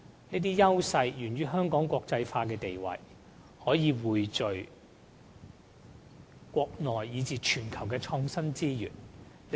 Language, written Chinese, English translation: Cantonese, 這些優勢源於香港國際化的地位，可以匯聚國內以至全球的創科資源。, All these advantages owe themselves to Hong Kongs cosmopolitan nature which can pool IT resources from the Mainland and around the world